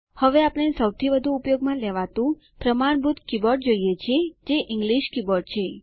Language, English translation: Gujarati, We now see the English keyboard which is the standard keyboard used most of us